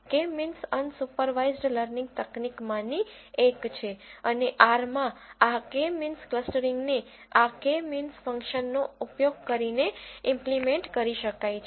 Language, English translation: Gujarati, K means is one such unsupervised learning technique and this K means clustering in R can be implemented by using this K means function